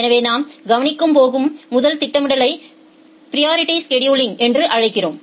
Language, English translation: Tamil, So, the first scheduling that we are going to look into we call it as the priority scheduling